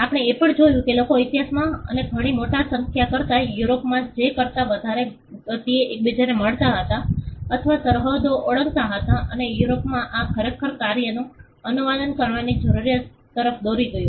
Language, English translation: Gujarati, We also found that people were meeting each other or crossing borders much at a much greater pace than they ever did in history and at a much bigger number and in Europe this actually led to the need to translate works